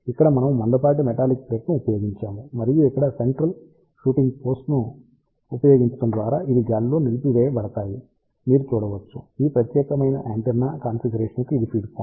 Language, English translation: Telugu, Here, we have used thick metallic plate and these are suspended in the air by using a central shooting posed over here, you can see this is the feed point for this particular antenna configuration